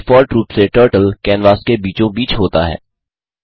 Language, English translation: Hindi, Turtle is in the middle of the canvas by default